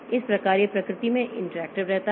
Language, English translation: Hindi, So, that way it remains interactive in nature